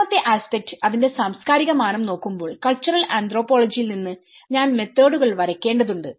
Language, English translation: Malayalam, The second aspect when I am looking at the cultural dimension of it that is where I have to draw the methods from the cultural anthropology